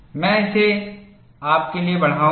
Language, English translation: Hindi, I will magnify it for you